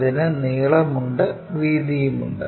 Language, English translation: Malayalam, It has length, it has breadth